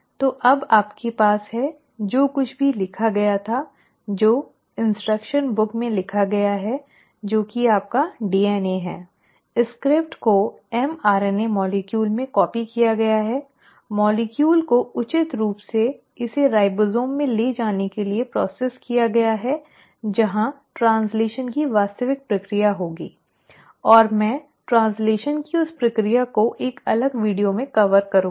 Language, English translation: Hindi, So now you have; whatever was written, the instructions which are written in the instruction book which is your DNA; has been, the script has been copied into an mRNA molecule, the molecule has been appropriately processed to further take it out to the ribosome where the actual process of translation will happen, and I will cover that process of translation separately in a separate video